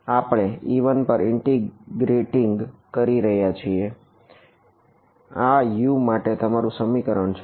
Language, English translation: Gujarati, We are integrating over e 1 this is your expression for u U and U 1